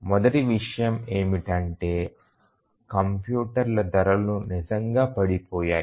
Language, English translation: Telugu, The first thing is or the most important thing is that the prices of computers have really fallen